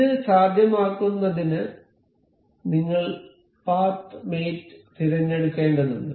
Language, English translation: Malayalam, To make this possible, we will have to select the path mate